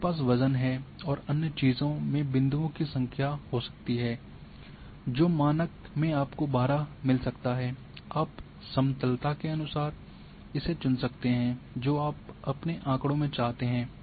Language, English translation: Hindi, So, you can have the weight and other things number of points maybe in the default you may get 12 you can choose as per the smoothness you want in your data